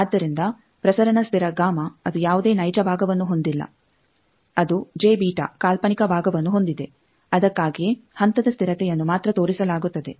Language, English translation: Kannada, So, propagation constant gamma that does not have any real part, it has the imaginary part j b that is why the face constant is only shown